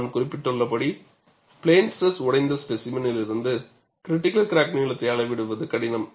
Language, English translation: Tamil, As I mentioned, measurement of critical crack length from fractured specimen in plane stress is difficult